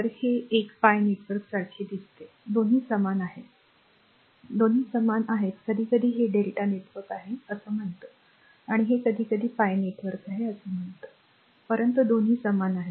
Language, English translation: Marathi, So, this is looks like a pi network both are same, both are same sometimes we call this is a delta network and this is we call sometimes pi network, but both are same both are same right